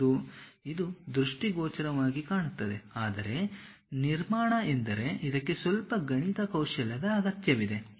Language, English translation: Kannada, It looks for visual very nice, but construction means it requires little bit mathematical skill set